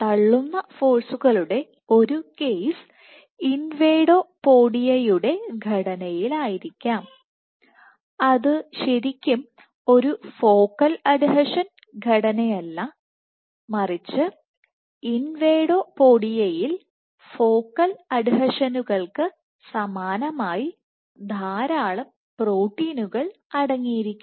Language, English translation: Malayalam, So, one case of pushing forces might be in the structures of invadopodia, it is not necessarily a focal adhesion structure, but invadopodia contains many proteins at invadopodia similar to that of focal adhesions